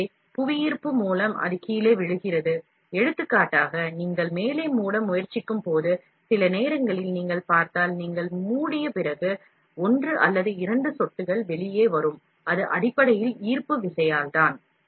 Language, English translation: Tamil, So, by gravity itself it drops down, like for example, when you try to close the top, if sometimes you see, after you close, also there will be one or two drops coming out, that is basically because of the gravity